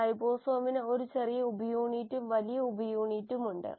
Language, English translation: Malayalam, Ribosome has a small subunit and a large subunit